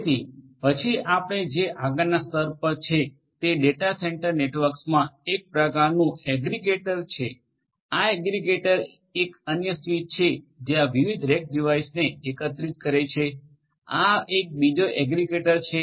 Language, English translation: Gujarati, So, then what we are going to have is the next layer over here in a data centre network will be some kind of an aggregator, this aggregator is another switch which is going to aggregate these different these different rack devices this is another aggregator